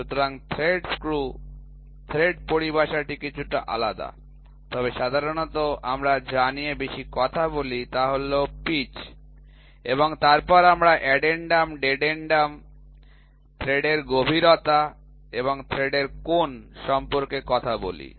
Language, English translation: Bengali, So, thread screw thread terminology is slightly different, but generally what we more talked about is the pitch and then we talked about addendum, dedendum, depth of thread and angle of thread